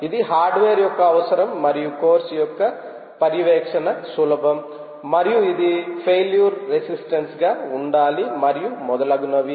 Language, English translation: Telugu, this is the requirement of the hardware and it is easy to monitor, of course, and it should be a failure resistant and so on and so forth